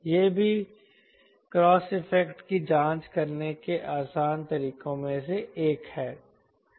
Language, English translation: Hindi, that is also one of the easier way of checking the cross effect